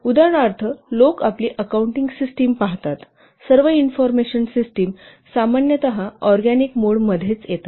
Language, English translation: Marathi, For example, if you will see your accounting system, all the information systems are normally coming under organic mode